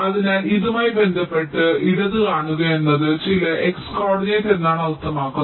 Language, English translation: Malayalam, so with respect to this, see left means some x coordinate